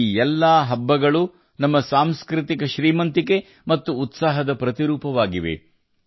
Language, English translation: Kannada, All these festivals of ours are synonymous with our cultural prosperity and vitality